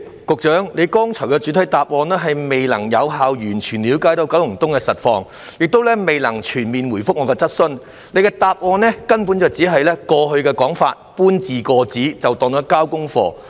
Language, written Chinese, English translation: Cantonese, 局長剛才的主體答覆顯示他未能有效地完全了解九龍東的實際情況，亦未能全面回覆我的主體質詢，局長只是將過去的說法搬字過紙便算。, The main reply given by the Secretary just now reflects that he has failed to grasp a full picture of the actual situation of Kowloon East effectively nor has he been able to give a comprehensive reply to my main question . The Secretary has merely repeated words in previous statements and thats it